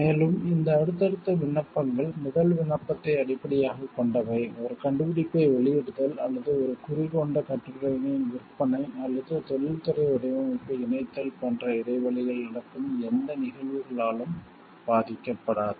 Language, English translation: Tamil, Moreover, the subsequent applications being based in the first application will not be affected by any event that takes place in the interval, such as the publication of an invention or the sale of the articles bearing a mark or incorporating an industrial design